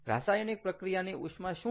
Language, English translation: Gujarati, what is heat of reaction